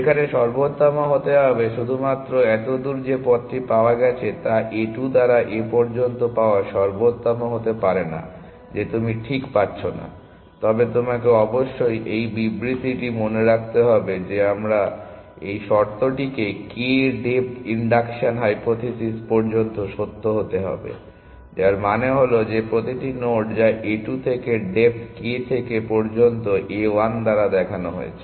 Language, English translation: Bengali, Need be optimal there only the path found so far path found so far by A 2 need not be the optimal you are not getting the exactly, but you must remember this statement we made let this condition be true up to depth k the induction hypothesis, which means that every node that is been seen by A 2 up to depth k has also been seen by a 1